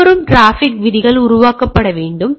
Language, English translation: Tamil, Rules for incoming traffic should be created